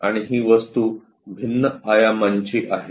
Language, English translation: Marathi, And this object is of different dimensions